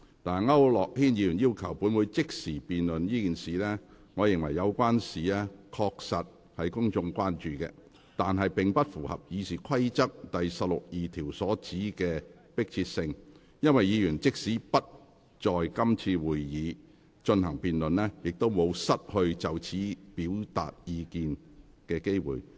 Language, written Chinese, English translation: Cantonese, 區諾軒議員要求本會即時辯論這事，我認為，有關事宜確實是公眾非常關注的，但並不符合《議事規則》第162條所指的迫切性，因為議員即使不在今次會議進行辯論，也不會失去就此事表達意見的機會。, Regarding Mr AU Nok - hins request that this issue be debated by the Council immediately I hold that this issue though of grave public concern is not urgent within the meaning of RoP 162 because even if it is not debated at this meeting Members will not lose the opportunity to express their views on it